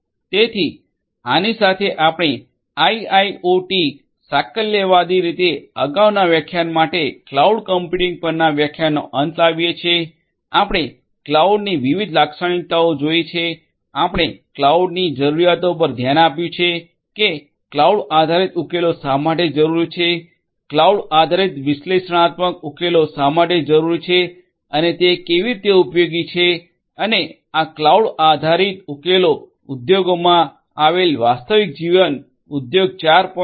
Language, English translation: Gujarati, So, with this we come to an end of the lecture on cloud computing for IIoT, holistically previous lecture and this lecture onwards this lecture included, we have seen the different features of cloud we have looked at the requirements of cloud why cloud based solutions are required, why cloud based analytic solutions are required and how they are useful and how this cloud based solution is going to help in catering to certain real life industry 4